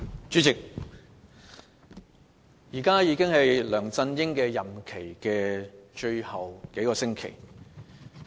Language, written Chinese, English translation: Cantonese, 主席，梁振英任期只餘下數星期。, President there is only a few weeks left before LEUNG Chun - yings tenure ends